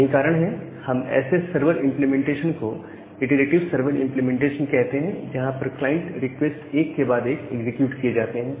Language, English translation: Hindi, So, that is why we call this kind of server implementation as an iterative server implementation, where the client requests are executed one by one